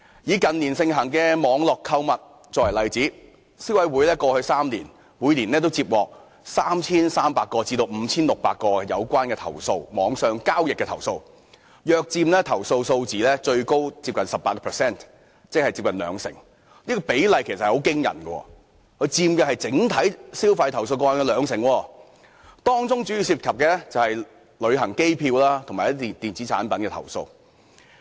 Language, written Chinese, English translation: Cantonese, 以近年盛行的網絡購物為例，過去3年，消費者委員會每年接獲 3,300 宗至 5,600 宗有關網上交易的投訴，最高約佔投訴數字接近 18%， 即接近兩成，這個比例其實很驚人，佔整體消費投訴個案接近兩成，當中主要涉及旅行機票及電子產品的投訴。, Let us look at the example of online shopping which has been popular in recent years . The Consumer Council received 3 300 to 5 600 complaints about online transactions over each of the past three years representing nearly 18 % of overall complaints at most that is around one fifth of the total number . Such a percentage is alarming indeed as it accounts for almost 20 % of all the complaints